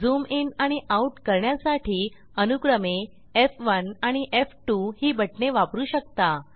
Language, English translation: Marathi, You can also use F1 and F2 keys to zoom in and zoom out, respectively